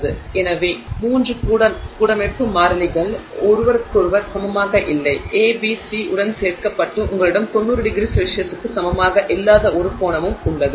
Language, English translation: Tamil, So, the three lattice constants are not equal to each other, A is not equal to B, not equal to C, plus you also have one angle which is not equal to 90 degrees